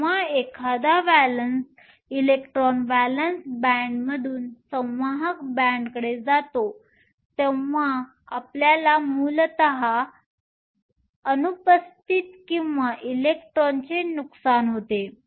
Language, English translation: Marathi, When an electron goes from the valence band to the conduction band, you essentially have an absence or a loss of electrons